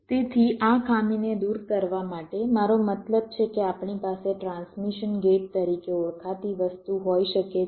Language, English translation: Gujarati, so to remove this drawback, i mean we can have something called as transmission gate